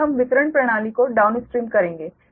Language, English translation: Hindi, then we will come to downstream, the distribution system